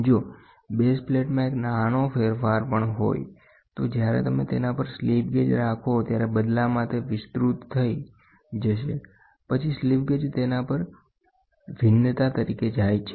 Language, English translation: Gujarati, If there is a small variation in the base plate, that will be in turn amplified when you keep a slip gauge on top of it, then a slip gauge as a variation it goes to it